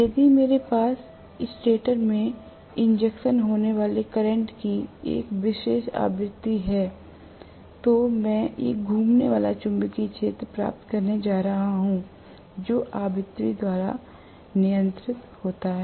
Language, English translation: Hindi, If I have a particular frequency of current injected into the stator, I am going to get a revolving magnetic field which is governed by the frequency